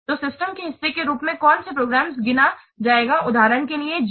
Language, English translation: Hindi, So, what programs will be counted as part of the system